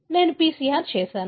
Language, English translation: Telugu, I have done a PCR